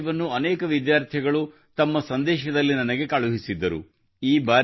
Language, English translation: Kannada, A similar thought was also sent to me by many students in their messages